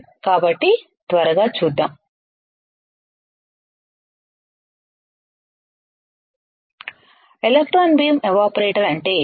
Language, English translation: Telugu, So, let us see quickly, What is an electron beam evaporator